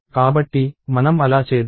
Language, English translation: Telugu, So, let us do that